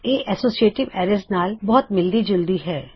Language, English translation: Punjabi, It is very similar to an associative array